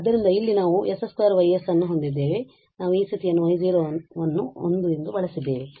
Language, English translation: Kannada, So, here we have s square Y s and we have use this condition y 0 as 1